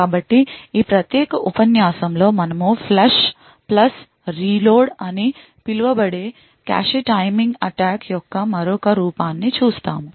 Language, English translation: Telugu, So, in this particular lecture we will be looking at another form of cache timing attacks known as the Flush + Reload